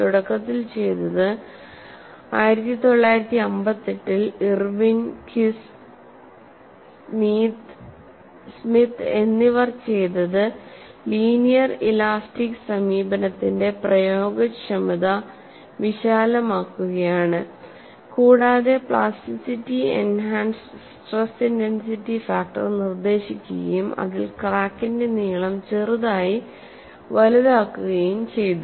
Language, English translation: Malayalam, And what was initially done was, that was the work of Irwin Kies and Smith in 1958, to broaden the applicability of the linear elastic approach, and proposed a plasticity enhanced stress intensity factor in which the crack lengths were slightly enlarged suitably